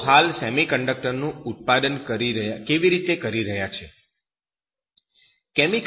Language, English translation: Gujarati, How are they doing this year's production of semiconductors